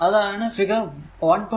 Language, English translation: Malayalam, So, table 1